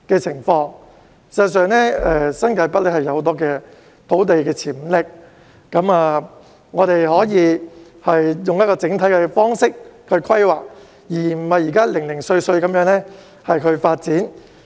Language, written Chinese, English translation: Cantonese, 事實上，新界北有很大的土地發展潛力，我們可以用整體的方式規劃，而不是像現時般零碎地發展。, In fact there is great potential for land development in New Territories North and we can adopt a holistic approach to planning instead of developing the area in a piecemeal manner as we are doing now